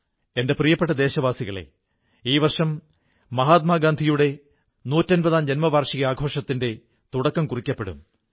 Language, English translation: Malayalam, My dear countrymen, this year Mahatma Gandhi's 150th birth anniversary celebrations will begin